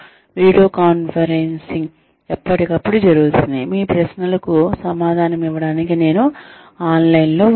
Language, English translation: Telugu, Video conferencing would happen, from time to time, where, I will be online, to answer your queries